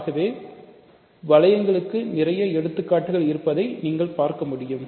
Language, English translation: Tamil, So, that you see that there are lots of examples of rings